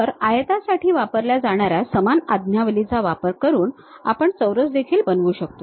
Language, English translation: Marathi, So, same command like rectangle one can construct squares also